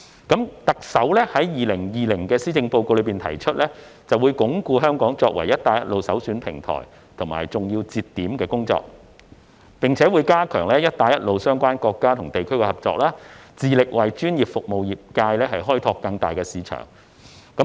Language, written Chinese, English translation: Cantonese, 特首在2020年施政報告中提出"會進一步鞏固香港作為'一帶一路'首選平台和重要節點，並加強與'一帶一路'相關國家和地區的合作，致力為業界開拓更大市場。, The Chief Executives 2020 Policy Address states We will further consolidate Hong Kongs position as the prime platform and a key link for the BR Initiative and strengthen the co - operation with BR related countries and regions so as to open up a larger market for various sectors